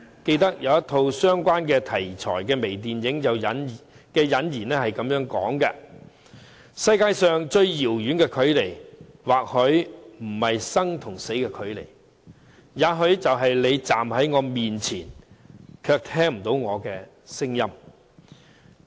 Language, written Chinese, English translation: Cantonese, 記得有一套相關題材的微電影引言是這樣說："世界上最遙遠的距離，或許不是生與死的距離；也許是你站在我面前，卻聽不見我的聲音"。, I can remember the opening words of a certain micro movie on this issue Perhaps the widest distance apart is not the distance between life and death but that between you and me when you standing right before me hear me not . In contrast people with hearing impairment are very much focused when communicating in sign language